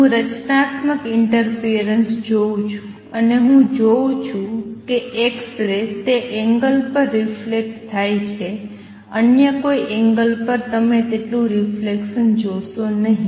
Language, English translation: Gujarati, I am going to see a constructive interference and I am going to see x ray is reflected at that angle, at any other angel you will not see that much of reflection